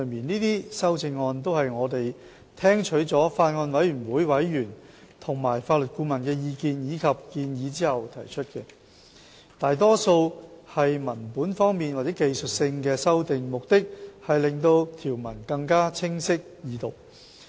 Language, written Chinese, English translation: Cantonese, 這些修正案都是我們聽取了法案委員會委員和法律顧問的意見及建議後所提出，大多數是文本方面或技術性的修訂，目的是令條文更清晰易讀。, We proposed the amendments after heeding the views and suggestions of members of the Bills Committee and counsel . These are mainly textual or technical amendments seeking to improve the clarity and readability of the provisions